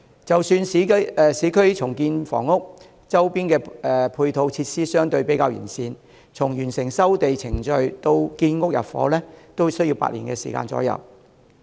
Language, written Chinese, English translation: Cantonese, 即使在市區重建房屋，周邊的配套設施相對較完備，由完成收地程序至建成入伙，也需時8年左右。, Even in urban areas where ancillary facilities are more readily available a housing renewal project takes about eight years from land resumption to completion for occupancy